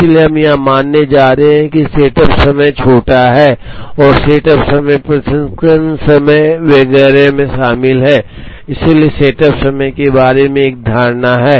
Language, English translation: Hindi, So, we are going to assume that setup times are small and setup times are included in the processing times etcetera, so there is also an assumption about the setup times